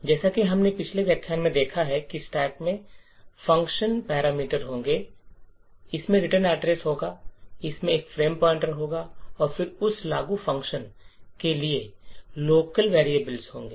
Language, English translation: Hindi, The stack would contain the function parameters, it would contain the return address, then it would have a frame pointer and then the local variables for that invoked function